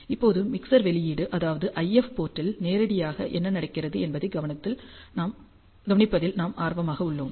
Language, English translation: Tamil, And right now we are interested in observing what happens directly at the mixer output which is the IF port